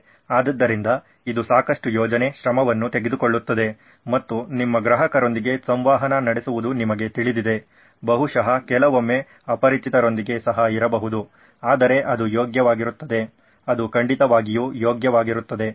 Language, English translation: Kannada, So this takes a lot of planning, effort and you know interacting with your customers, probably with sometimes even with strangers but it is worth it is while, its definitely worth it